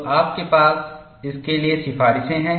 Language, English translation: Hindi, So, you have recommendations for that